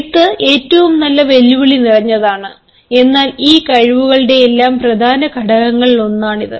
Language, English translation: Malayalam, writing is the most challenging, but it is one of the key ingredients of all this skills